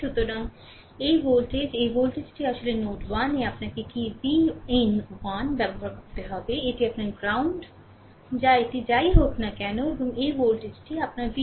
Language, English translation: Bengali, So, this voltage; this voltage actually your your what to call v 1 at node 1, this is your ground this is your ground whatever it is right and this voltage is your v 2, right, this is your v 2